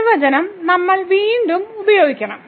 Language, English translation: Malayalam, We have to use again this definition